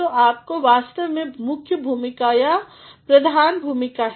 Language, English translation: Hindi, So, you actually have got the main role or the prominent role